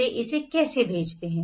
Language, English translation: Hindi, How do they send it